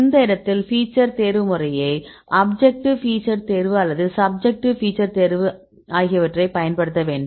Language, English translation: Tamil, In this case you have to use feature selection method either objective features selection or the subjective feature selection